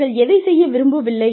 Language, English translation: Tamil, What they have not been able to do